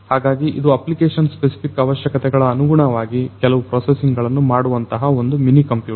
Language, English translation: Kannada, So, it is basically a mini computer and which can do certain processing, you know depending on the application specific requirements